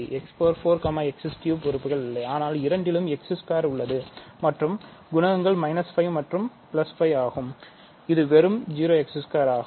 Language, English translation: Tamil, So, x power 4 is not present in both x cubed is not present in both, but x square is present in both and the coefficients are minus 5 and 5, so this is just 0 x squared